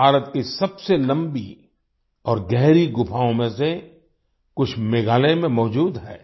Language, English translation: Hindi, Some of the longest and deepest caves in India are present in Meghalaya